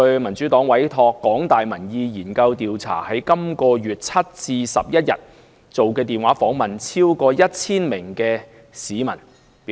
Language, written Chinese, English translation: Cantonese, 民主黨委託香港大學民意研究計劃，在本月7日至11日電話訪問超過 1,000 名市民。, The Democratic Party has commissioned the Public Opinion Programme under the University of Hong Kong to conduct a telephone survey of more than 1 000 people from 7 to 11 this month